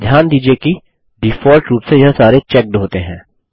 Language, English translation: Hindi, Notice that, by default, all of them are checked